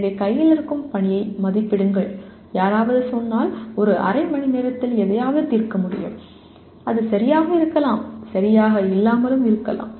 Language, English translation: Tamil, So assessing the task at hand, if somebody says, oh I can solve something in half an hour, it maybe right and may not be right